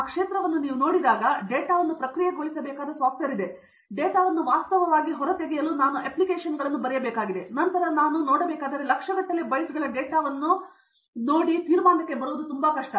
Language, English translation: Kannada, When you look at that field, now there is software by which I need to process the data, I need to write applications to actually extract the data and then this cannot be that just by viewing say millions of bytes of data, for me to come to conclusion is very difficult